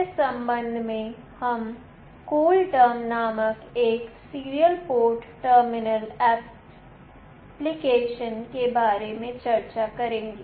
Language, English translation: Hindi, In this regard, we will be discussing about a Serial Port Terminal Application called CoolTerm